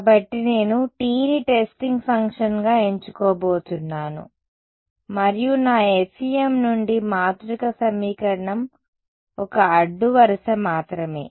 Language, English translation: Telugu, So, I am going to choose T 1 as testing function and generate one row of my matrix equation from FEM only one row ok